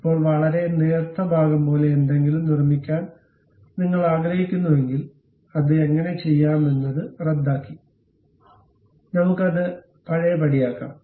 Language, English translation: Malayalam, Now, if you want to construct something like a very thin portion; the way how to do that is cancel, let us undo that, ok